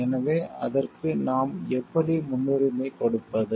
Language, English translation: Tamil, So, how do we prioritize for it